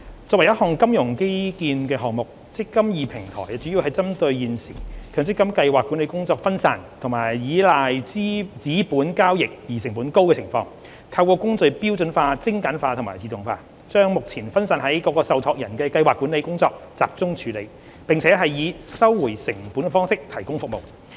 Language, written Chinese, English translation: Cantonese, 作為一項金融基建項目，"積金易"平台主要針對現時強制性公積金計劃管理工作分散及倚賴紙本交易而成本高的情況，透過工序標準化、精簡化和自動化，把目前分散於各個受託人的計劃管理工作集中處理，並以收回成本的方式提供服務。, As a financial infrastructure project the eMPF Platform is mainly directed at the existing decentralized administration and reliance on high - cost paper - based transactions of the Mandatory Provident Fund MPF schemes . Through standardizing streamlining and automating the administration processes it will deal with the scheme administration which is currently decentralized among various trustees in a centralized manner and provide services on a cost - recovery basis